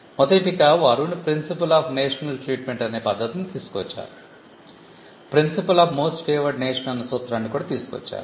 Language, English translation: Telugu, One they brought in a principle of national treatment; they also brought in the principle of most favored nation treatment